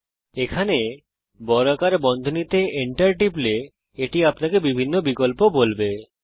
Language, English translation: Bengali, Now right here between the square brackets, if you press Enter it tells you the different options